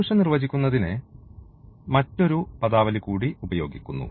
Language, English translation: Malayalam, There is another terminology use for defining the solution